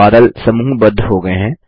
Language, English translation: Hindi, The clouds are grouped